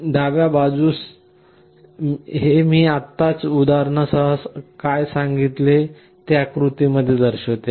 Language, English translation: Marathi, On the left hand side it shows exactly what I just now told with the example